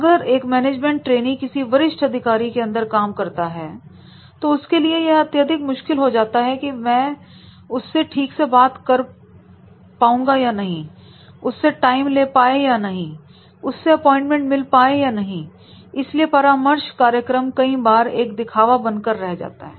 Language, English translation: Hindi, So, if a management trainee is working under a senior executives, then it becomes very difficult for him to communicate, interact and get the time, get the appointments and therefore that mentoring program sometimes that becomes ornamental